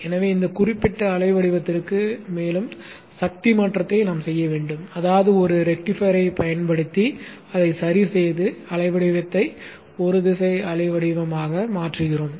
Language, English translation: Tamil, Therefore we need to do a further power conversion for this particular wave shape that is we rectify it using a rectifier and make the wave shape into a unidirectional wave shape